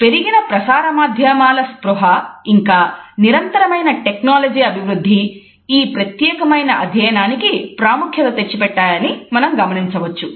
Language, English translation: Telugu, So, we can find that the enhanced media awareness as well as the continuous growth in the technology today has made this particular aspect of a study a significant one